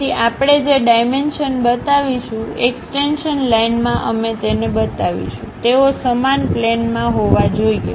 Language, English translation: Gujarati, So, whatever the dimensions we will show, extension lines we will show; they should be in the same plane